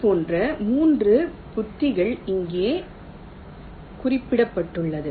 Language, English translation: Tamil, there are three such strategies which are mentioned here